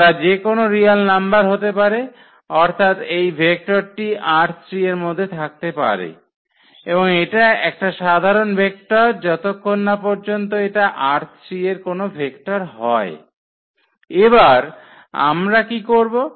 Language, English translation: Bengali, They can be any real number meaning that this vector belongs to this R 3 and it’s a general vector yet can it can be any vector from this R 3 and what we will, what we are supposed to do now